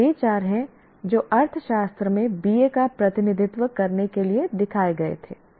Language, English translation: Hindi, That is what these are the four that were shown as representing BA in economics